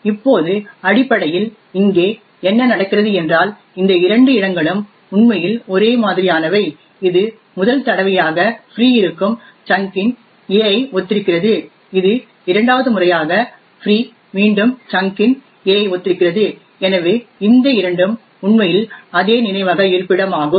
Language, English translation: Tamil, Now essentially what is happening here is these two locations are what are actually the same this corresponds to the chunk a of which is free the for the first time and this corresponds to the chunk a again which is free for the second time, so these two are in fact the same memory location